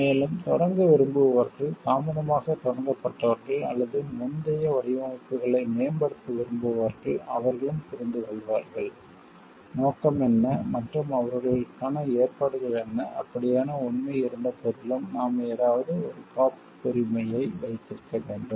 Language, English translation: Tamil, And also like, the others who want to start, who were started late or who wants to improve on the earlier designs, they also get to understand, what are the scope, and what are the provisions for them so that in spite of having the fact like, somebody must we have holding a patent of something